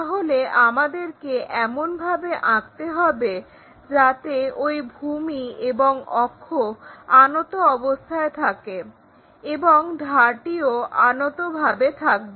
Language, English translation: Bengali, So, we have to construct in such a way that base and axis are inclined and edge also supposed to be inclined